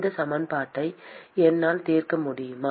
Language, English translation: Tamil, Can I solve this equation